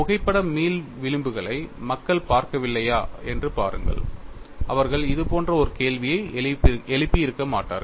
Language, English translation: Tamil, See if people have not looked at photo elastic fringes, they would not have raised a question like this